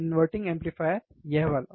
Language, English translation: Hindi, Inverting amplifier, this one, right